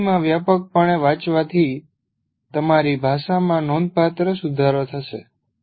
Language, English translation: Gujarati, Reading widely in English will greatly improve your language